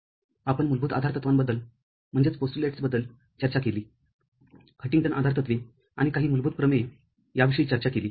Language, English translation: Marathi, We discussed basic postulates Huntington postulates we discussed and some basic theorems